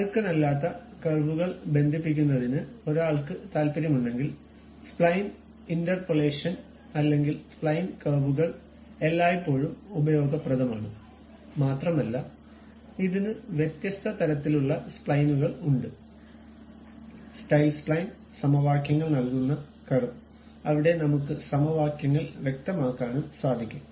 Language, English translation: Malayalam, If one is interested in connecting smooth curves, then spline interpolation or spline curves are always be useful and it has different kind of splines also, style spline, equation driven curve where you can specify the equations also